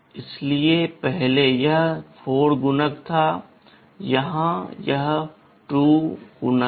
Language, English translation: Hindi, So, earlier it was multiple of 4, here it is multiple of 2